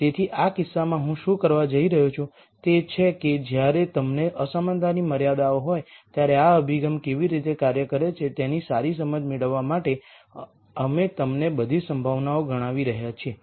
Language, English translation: Gujarati, So, what I am going to do in this case is we are going to enumerate all possibilities for you to get a good understanding of how this approach works when you have inequality constraints